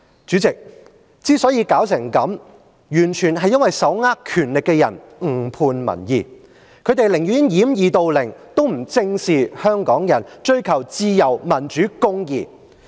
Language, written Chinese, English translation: Cantonese, 主席，香港之所以弄至今天這樣的情況，完全是因為手握權力的人誤判民意，他們寧願掩耳盜鈴，也不正視香港人是追求自由、民主、公義的群體。, President it is the misjudgment of public opinion by those in power which has brought Hong Kong to the present state . They would rather deceive themselves than face squarely the fact that Hong Kong people are the ones who long for freedom democracy and justice